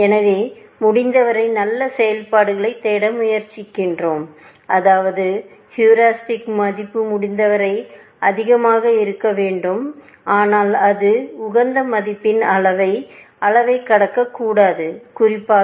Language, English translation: Tamil, So, we try to look for as good functions as possible, which means, that the heuristic value must be as high as possible, but it should not cross the level of the optimal value, especially